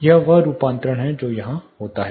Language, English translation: Hindi, This is the conversion which goes here